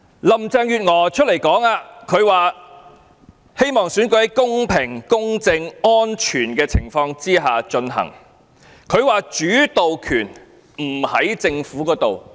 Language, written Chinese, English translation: Cantonese, 林鄭月娥表示，希望選舉在公平公正安全的情況下進行，她說主導權不在政府這裏。, When talking about her hope for the fair impartial and safe conduct of the election Carrie LAM argues that things are beyond the Governments control